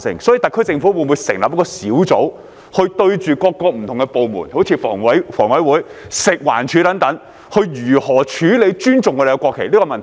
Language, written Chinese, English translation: Cantonese, 所以，特區政府會否成立一個小組，研究各個不同的部門，例如房委會、食物環境衞生署等，應如何處理尊重國旗這個問題？, Hence will the HKSAR Government set up a task force to study how different departments such as HKHA the Food and Environmental Hygiene Department etc should handle the issue of showing respect for the national flag?